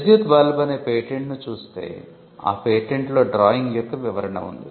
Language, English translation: Telugu, The electric bulb we saw the patent, and there was a description of drawing in the patent